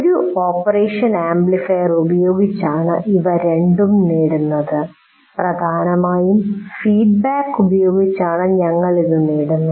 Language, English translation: Malayalam, These two are achieved by using an operational amplifier and we are achieving that mainly using the feedback